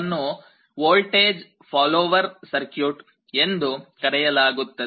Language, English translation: Kannada, This is called a voltage follower circuit